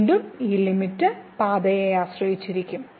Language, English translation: Malayalam, So, again this limit is depending on the path